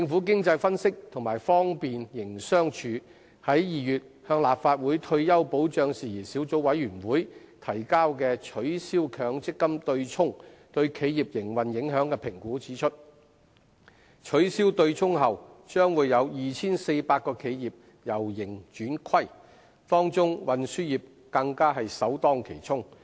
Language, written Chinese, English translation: Cantonese, 經濟分析及方便營商處於2月向立法會退休保障事宜小組委員會提交"取消強積金'對沖'對企業營運影響的評估"文件指出，取消對沖後將有 2,400 間企業由盈轉虧，當中運輸業更首當其衝。, The paper Business Impact Assessment of Abolishing MPF Offsetting tabled by the Economic Analysis and Business Facilitation Unit to the Legislative Council in February pointed out that 2 400 companies may turn from making profits to incurring losses should the offsetting arrangement be abolished and the transport sector would be the first to bear the brunt